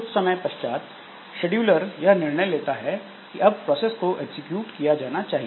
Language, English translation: Hindi, So, after some time the scheduler takes a decision that now this process should be executed